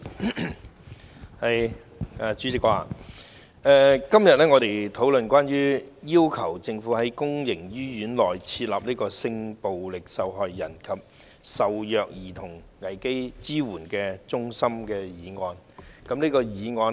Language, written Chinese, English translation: Cantonese, 代理主席，我們今天討論關於"要求政府在公營醫院內增設性暴力受害人及受虐兒童危機支援中心"的議案。, Deputy President today we discuss the motion on Requesting the Government to set up crisis support centres for sexual violence victims and abused children in public hospitals . The Government should indeed brook no delay in setting up support centres